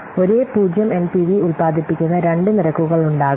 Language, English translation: Malayalam, There can be but two rates that will produce the same 0 NPV